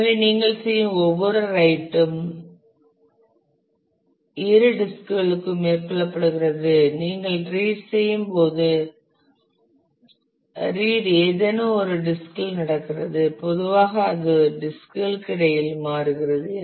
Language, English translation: Tamil, So, every write that you do is carried out to both the disks and when you read the read happens on either of the disk usually it it switches between the disks